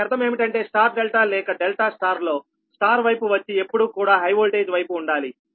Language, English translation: Telugu, so that means star delta or delta star star side should be always on the high voltage side